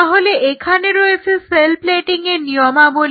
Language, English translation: Bengali, So, this is called the cell plating